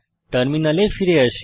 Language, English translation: Bengali, Come back to a terminal